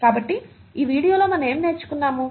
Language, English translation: Telugu, So what have we learnt in this video